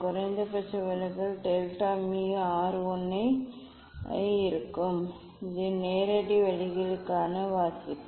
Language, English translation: Tamil, minimum deviation delta m will be R 1 minus the reading for direct ways that is a